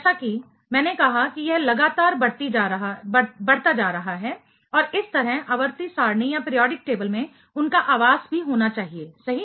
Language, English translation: Hindi, It is as I said ever increasing and thereby, their accommodation in the periodic table has to be also be there right